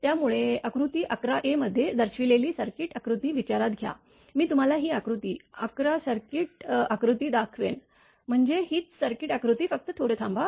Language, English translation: Marathi, So, consider the circuit diagram shown in figure 11 a right, I will show you the circuit diagram right this figure 11, I mean this same circuit diagram just hold on